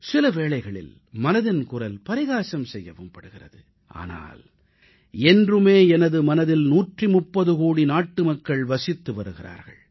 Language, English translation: Tamil, At times Mann Ki Baat is also sneered at but 130 crore countrymen ever occupy a special pleace in my heart